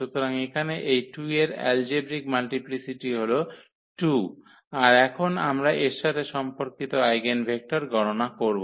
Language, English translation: Bengali, So, here the algebraic multiplicity of this 2 is 2 and now we compute the eigenvector corresponding to this